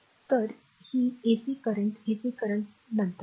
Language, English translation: Marathi, So, this is ac current ac current will see later